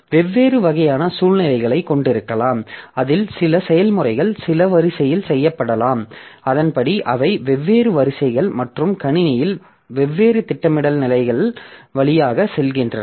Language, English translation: Tamil, So this way we can have different type of situations in which the processes may be executed in some sequence and accordingly they go through different queues and different scheduling stages in the system